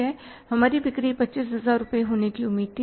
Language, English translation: Hindi, So, our sales expected about 25,000 rupees